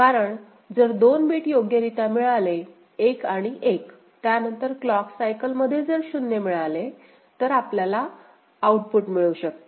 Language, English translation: Marathi, Because, when 2 bits are receipt correctly 1 and 1, then if 0 is received ok, in that same clock cycle, we can generate the output ok, so that is the thing right